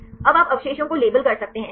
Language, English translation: Hindi, Now, you can label the residues right